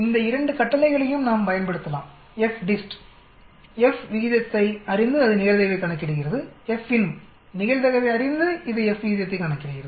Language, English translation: Tamil, We can use both this commend FDIST, knowing the F ratio it calculates the probability, FINV knowing probability, it calculates the F ratio